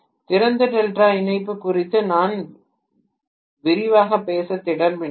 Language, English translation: Tamil, I am not planning to go into great detail about open delta connection